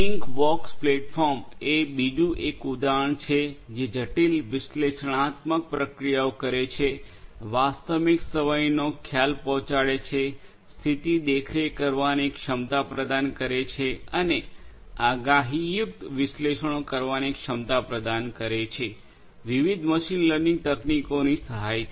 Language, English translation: Gujarati, ThingWorx platform is another example which performs complex analytical processes, deliver real time perception, offers the ability of condition monitoring, offers the ability of predictive analytics and recommendation with the help of different machine learning techniques